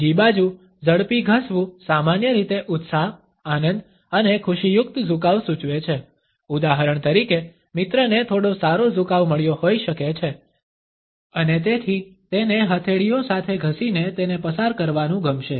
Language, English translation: Gujarati, On the other hand a quick rub normally indicates an enthusiasm, a pleasure a happy tilting, for example, a friend might have received some good tilting and therefore, would like to pass it on with rubbing palms together